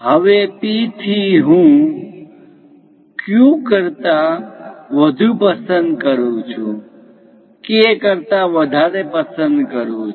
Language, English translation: Gujarati, Now, from P; a distance I have to pick greater than Q, greater than K